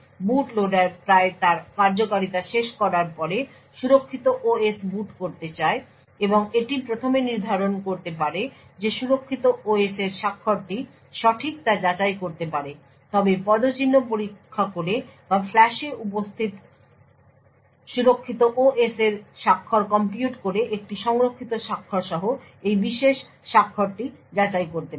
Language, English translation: Bengali, After the boot loader is nearly completing its execution and would want to boot the secure OS it could first determine that the signature of the secure OS is correct this can be verified but checking the footprint or by computing the signature of the secure OS present in the flash and verifying this particular signature with a stored signature